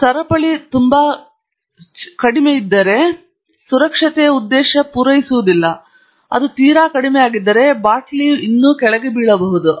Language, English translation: Kannada, So, if you have the chain too low, then you have actually not served the safety purpose, because if it is too low, the bottle can still fall down